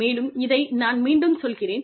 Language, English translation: Tamil, And, i am repeating this